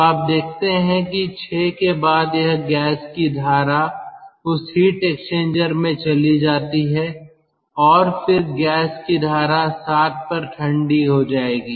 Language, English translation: Hindi, so you see, after point six, it, it goes into that heat exchanger, the gas stream, and then the gas stream will be cooled to point seven